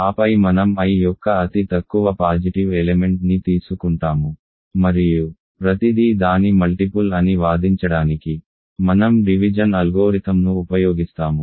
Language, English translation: Telugu, And then we simply take the least positive element of I and then we use division algorithm to argue that everything is a multiple of that